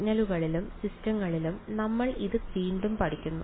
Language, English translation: Malayalam, Again we study this in signals and systems